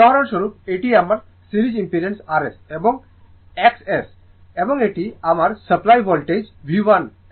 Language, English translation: Bengali, For example this is my series impedance R S and X S and this is my supply voltage V